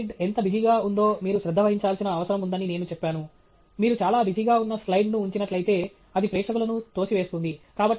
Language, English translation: Telugu, I pointed out that you need to pay attention to how busy your slide is; if you put up a very busy slide, then that throws off the audience